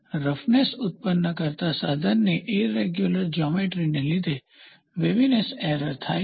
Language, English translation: Gujarati, Waviness is an error in form due to irregular geometries of the tool producing the surface